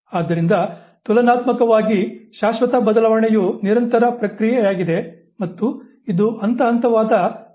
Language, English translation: Kannada, So, relatively permanent change, continuous process and also it is a gradual process